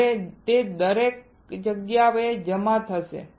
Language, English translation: Gujarati, Now it will deposit everywhere